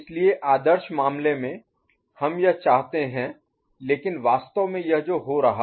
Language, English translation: Hindi, So, while ideal case we want this, but actually this is what is happening, clear